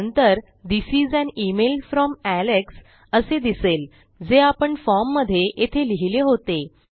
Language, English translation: Marathi, And then we have This is an email from Alex which is the name we gave inside the form here